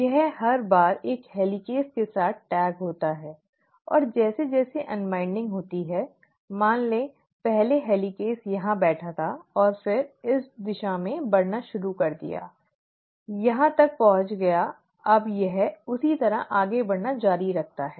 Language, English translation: Hindi, It kinds of tags along every time with a helicase, and as the unwinding happens, this the, let us say, earlier the helicase was sitting here and then started moving in this direction, reached here, now it has continued to move like that